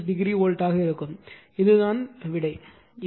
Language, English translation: Tamil, 96 degree volt right this is this is the answer